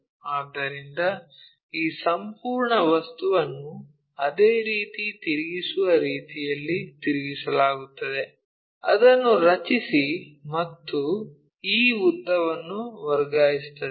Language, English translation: Kannada, So, this entire object is rotated in such a way that the same thing rotate it, draw it, and transfer this lens